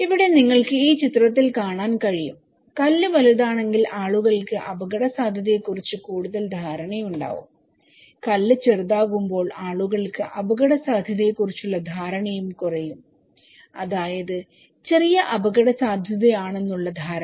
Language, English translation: Malayalam, Here, you can see in this picture when the stone is bigger, people have greater perception of risk when the stone is smaller, people have less risk perception; a low risk perception